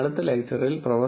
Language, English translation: Malayalam, In the next lecture, Prof